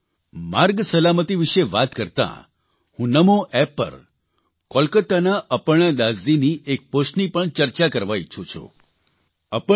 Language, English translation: Gujarati, whilst speaking about Road safety, I would like to mention a post received on NaMo app from Aparna Das ji of Kolkata